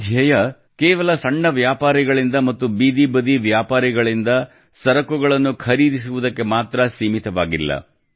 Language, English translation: Kannada, This vision is not limited to just buying goods from small shopkeepers and street vendors